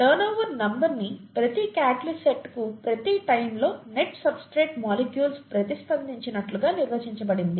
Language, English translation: Telugu, Turnover number is defined as the net substrate molecules reacted per catalyst site per time, okay